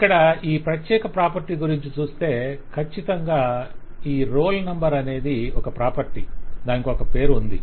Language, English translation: Telugu, So what it has certainly this is role number is a property which has a property name